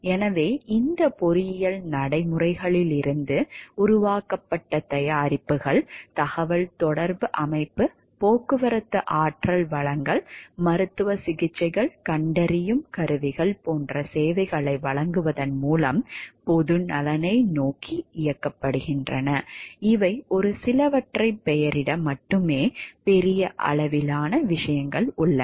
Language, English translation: Tamil, So, the products that are developed out of these engineering practices are directed towards the public good by providing services like communication system, transportation energy resources, medical treatments, diagnostic equipments, these are only to name a few there are large gamut of things